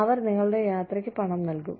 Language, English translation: Malayalam, They will fund your travel